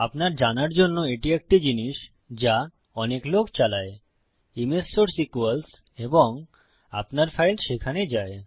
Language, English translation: Bengali, Okay, just to let you know, this is one thing that a lot of people run into: image source equals and your file goes there